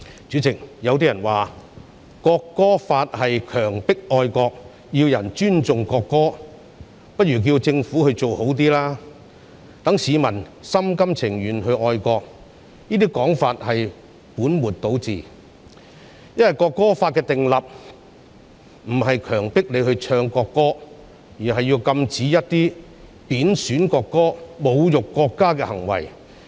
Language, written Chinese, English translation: Cantonese, 主席，有人說《國歌法》是強迫愛國，與其要人尊重國歌，不如叫政府做好一點，令市民心甘情願地愛國，這種說法是本末倒置，因為《國歌法》的訂立並非為了強迫人唱國歌，而是要禁止貶損國歌、侮辱國家的行為。, President someone says that the National Anthem Law forces patriotism . Instead of requiring people to respect the national anthem we had better ask the Government to do better so that members of the public will love the country of their own free will . Such a remark is putting the cart before the horse because the enactment of the National Anthem Law does not seek to force people to sing the national anthem